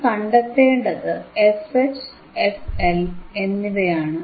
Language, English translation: Malayalam, yYou have to find what is fH and what is f fL, right